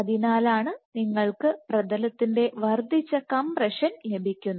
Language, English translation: Malayalam, So, that is why you get increase substrate compression